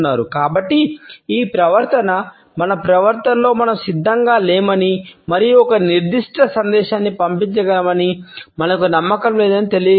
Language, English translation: Telugu, So, these repetitive takes in our behaviour communicate that we are not prepared and we are not confident to pass on a particular message